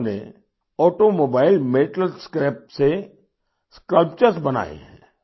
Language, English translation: Hindi, He has created sculptures from Automobile Metal Scrap